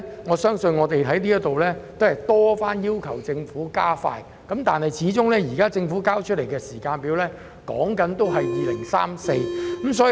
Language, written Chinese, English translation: Cantonese, 我們過去已多番在此要求政府加快建設北環綫，但政府現時交出的時間表仍然是2034年。, While we have been urging the Government time and again to expedite the construction of the Link the timetable provided by the Government is still that it will not be completed until 2034